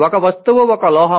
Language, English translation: Telugu, Just an object is a metal